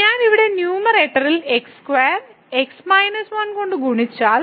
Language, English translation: Malayalam, So, if I multiply here in the numerator by square and minus 1